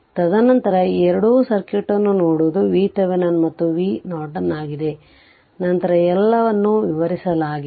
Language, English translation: Kannada, And then your then looking at looking at this two circuit right look at this is for V Thevenin and, this is for V Norton then everything is explained to you right